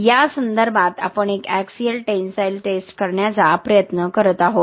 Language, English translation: Marathi, What we are trying to do is do uni axial tensile test with respect to this